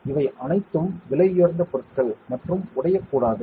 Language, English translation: Tamil, These are all expensive materials and it should not break